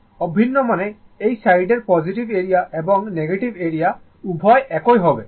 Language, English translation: Bengali, Identical means, this side positive area negative area both will be same right